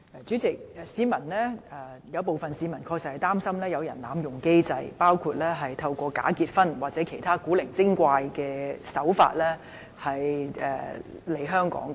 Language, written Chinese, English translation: Cantonese, 主席，有部分市民確實擔心有人濫用機制，包括透過假結婚或其他古怪的手法來港。, President some members of the public are indeed worried that people will abuse the mechanism to come to Hong Kong through for example bogus marriages or other strange means